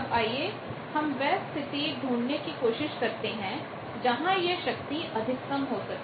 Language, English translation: Hindi, Now, let us do the try to find out under what condition this power can be maximized